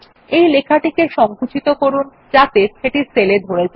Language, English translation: Bengali, Shrink this text to fit in the cell